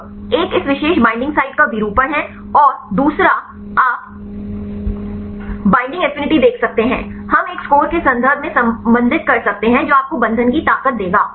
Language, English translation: Hindi, So, one is the pose the conformation of this particular binding site, and the second one you can see the binding affinity, we can relate in terms of a score which will give you the strength of the binding